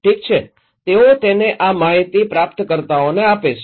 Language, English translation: Gujarati, Okay, they pass it to receivers these informations